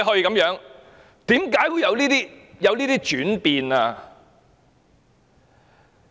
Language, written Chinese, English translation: Cantonese, 為何會有這樣的轉變？, Why is there such a change?